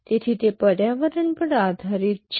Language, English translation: Gujarati, So, it depends on the environment